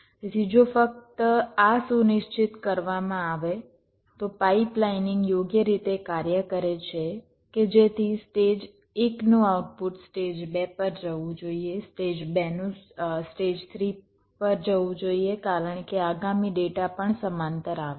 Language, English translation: Gujarati, so if this is ensured, only then the pipelining should work properly that the, the output of stage one should go to stage two, stage two go to stage three, because the next data is also coming parallely